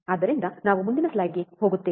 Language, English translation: Kannada, So, we go to the next slide, what is the next slide